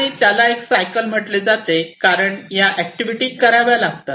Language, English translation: Marathi, And it is called a cycle because these activities will have to be done